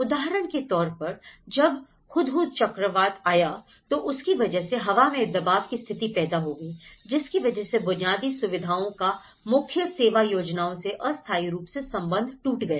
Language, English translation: Hindi, When Hudhud cyclone has hit, there has been a real pressurized situation, much of the infrastructure has been cut down from you know, the main service plans